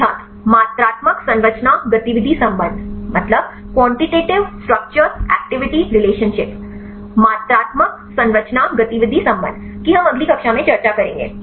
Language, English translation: Hindi, Quantitative Structure Activity Relationship Quantitative Structure Activity Relationship; that we will discuss in next class